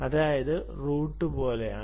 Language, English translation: Malayalam, it's like a routing